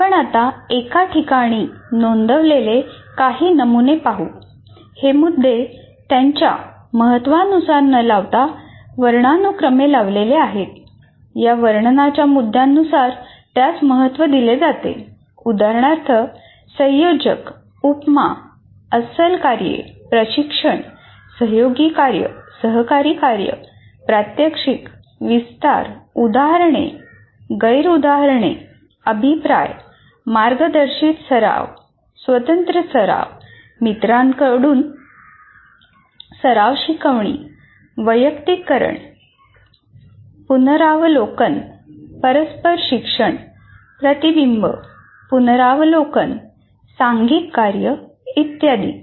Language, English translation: Marathi, For example, advanced organizers, analogies, authentic tasks, coaching, collaborative work, cooperative work, demonstration, elaboration, examples, non examples, feedback, guided practice, independent practice, peer tutoring, personalization, preview, reciprocal teaching, reflection, review, teamwork, etc